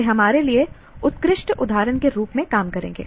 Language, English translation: Hindi, They will work as excellent examples for us